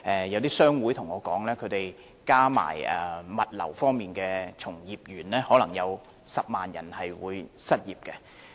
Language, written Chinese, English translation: Cantonese, 有些商會告訴我，如果加上物流業的從業員，可能將有10萬人會因而失業。, Some trade associations have told me that the arrangement would render around 100 000 employees jobless including practitioners in the logistics industry